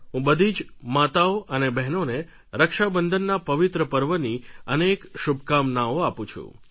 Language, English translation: Gujarati, I offer my best wishes to all mothers and sisters on this blessed occasion of Raksha Bandhan